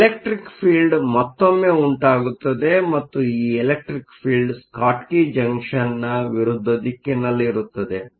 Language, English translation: Kannada, So, an electric field will again be setup and the field will be in the direction opposite to that of a Schottky Junction